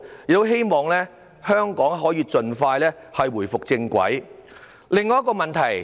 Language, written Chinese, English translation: Cantonese, 我希望香港可以盡快返回正軌。, I hope Hong Kong can get back on the right track soon